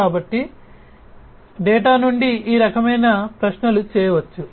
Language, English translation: Telugu, So, this kind of queries could be made from the data